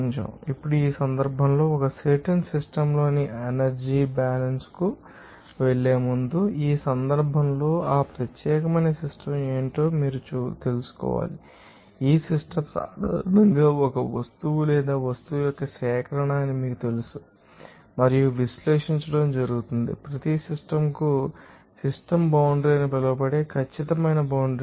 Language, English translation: Telugu, Now, in this case before going to that balance of energy in a particular system, you have to know that what is that particular system in this case the system generally is an object or a collection of object that and you know analyze is carried out on each the system has a definite boundary called the system boundary